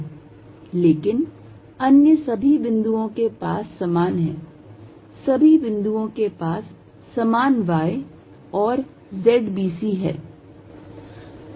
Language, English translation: Hindi, But, all other the points they have the same, all the points have same y and z b c